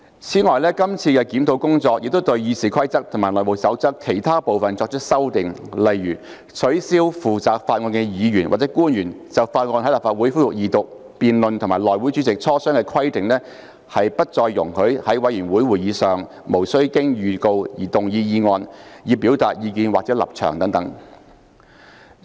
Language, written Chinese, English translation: Cantonese, 此外，這次的檢討工作亦對《議事規則》及《內務守則》的其他部分作出修訂，例如取消負責法案的議員或官員就法案在立法會恢復二讀辯論與內會主席磋商的規定，以及不再容許議員在委員會會議上無經預告而動議議案以表達意見或立場等。, In addition the current review has also made amendments to other parts of RoP and HR such as removing the requirement for the Member or public officer in charge of a bill to consult the HC Chairman before the resumption of Second Reading debate of the bill and no longer allowing Members to move a motion without notice for the purpose of expressing their views or stances in committee meetings